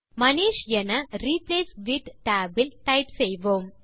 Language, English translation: Tamil, So we type Manish in the Replace with tab